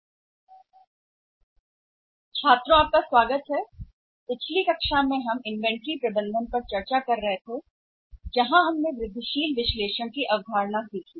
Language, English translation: Hindi, Welcome students so in the previous class we were discussing the inventory management where we learned the concept of incremental analysis